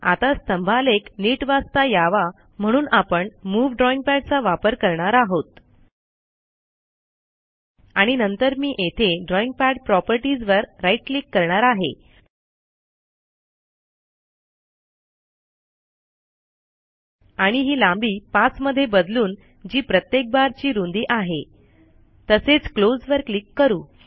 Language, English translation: Marathi, Now to make the histogram more visible or readable , I will use the move drawing pad.And then I will also right click on drawing pad properties here and change this distance to 5 which is the width of each bar and say close